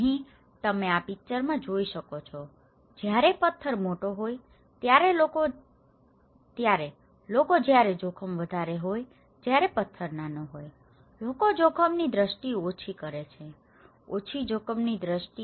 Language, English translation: Gujarati, Here, you can see in this picture when the stone is bigger, people have greater perception of risk when the stone is smaller, people have less risk perception; a low risk perception